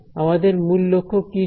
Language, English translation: Bengali, What was our ultimate objective